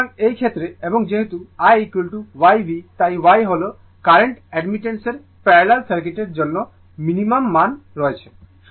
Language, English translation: Bengali, So, in this case and since I is equal to YV so, Y is that admittance the current has also minimum value for the parallel circuit right